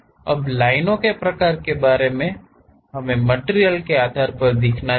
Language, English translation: Hindi, Now, regarding the what type of lines we should really show, that based on the materials